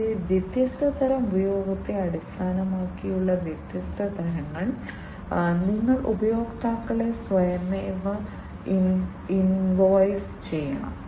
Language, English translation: Malayalam, And different types of you know based on the different types of usage, you have to automatically you have to invoice the customers